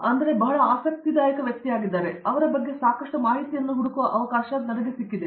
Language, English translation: Kannada, He is a very interesting personality, I had the opportunity of looking up lot of information on a about him